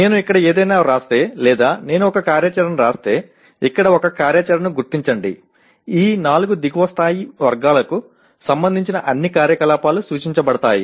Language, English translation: Telugu, If I write something here or if I write an activity, identify an activity here; then it can be expected all the activities related to these four lower level categories are implied